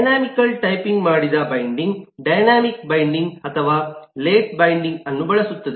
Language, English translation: Kannada, a dynamically typed binding uses dynamic binding or late binding